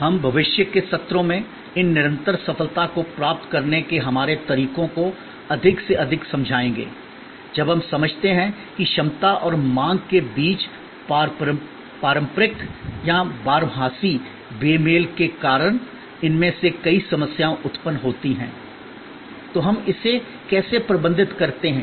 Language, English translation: Hindi, We will illustrate more and more, our ways to achieve these continuous success through in future sessions, when we understand that many of these problems are generated due to the traditional or perennial mismatch between capacity and demand, so how do we manage that